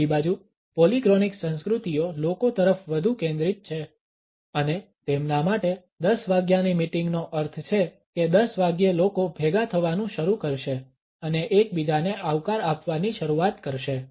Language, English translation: Gujarati, On the other hand polychronic cultures are more people centered and for them a 10 o clock meeting means at 10 o clock people going to start assembling there and start greeting each other